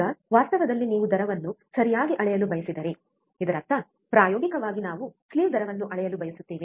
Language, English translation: Kannada, Now, in reality if you want measure slew rate right; that means, experimentally we want to measure slew rate